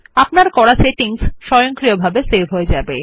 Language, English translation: Bengali, Your settings will be saved, automatically